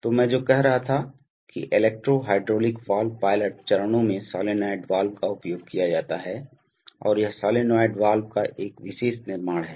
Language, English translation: Hindi, So, what I was saying is that the electro hydraulic valve pilot stages the solenoid valves are used and this is a particular construction of the solenoid valve